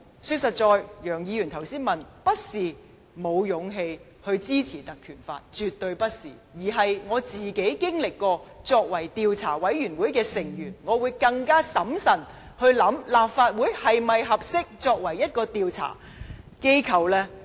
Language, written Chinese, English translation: Cantonese, 說實在，楊議員剛才問我們是否沒有勇氣支持《立法會條例》，絕對不是，而是我曾經擔任調查委員會的成員，我會更審慎考慮立法會是否合適作為調查的機構呢。, Mr YEUNG challenged that we do not have the courage to support the motion on invoking the PP Ordinance . This is not true . I was once a member of an inquiry committee and this makes me consider more carefully whether it is appropriate for the Council to take the role of an investigative body